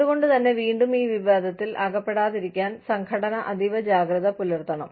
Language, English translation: Malayalam, So, again, the organization has to be very careful, as to, not get into this controversy